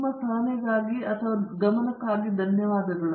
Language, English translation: Kannada, Thanks for your attention